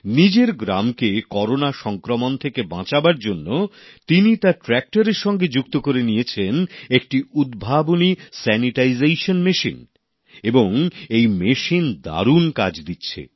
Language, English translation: Bengali, To protect his village from the spread of Corona, he has devised a sanitization machine attached to his tractor and this innovation is performing very effectively